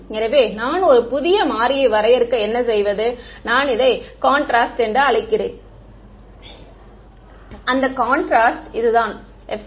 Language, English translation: Tamil, So, what do I do is I define a new variable I call it contrast and that contrast is simply this epsilon r minus 1 ok